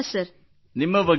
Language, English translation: Kannada, Tell me about yourself